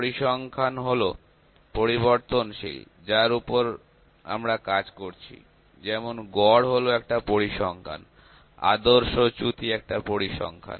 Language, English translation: Bengali, Statistic is the variable on which we are working like mean is one statistic, standard deviation is one statistic